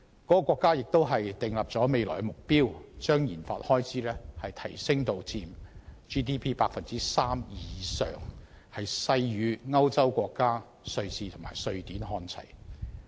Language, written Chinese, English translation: Cantonese, 該國亦已訂定未來目標，把研發開支提升至佔 GDP 的 3% 以上，勢與歐洲國家瑞士和瑞典看齊。, It has also set a future goal of raising the Gross Domestic Expenditure on RD as a share of GDP to more than 3 % bringing it on par with that in Switzerland and Sweden in Europe